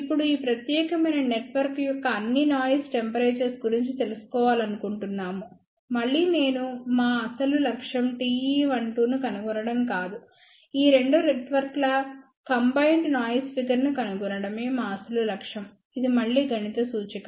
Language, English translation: Telugu, Now, we want to find out over all noise temperature of this particular network, again I want to mention our actual objective is not to find the T e 1 2, our actual objective is to find out combined noise figure for these two network, this is again a mathematical representation